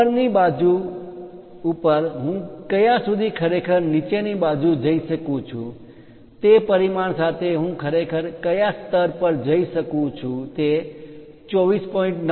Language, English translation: Gujarati, On upper side up to which level I can really go on the lower side up to which level I can really go with that dimension, is it 24